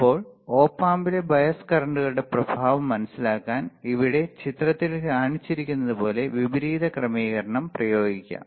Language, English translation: Malayalam, Now to understand the effect of bias currents on the op amp let us consider inverting configuration as shown in the figure here right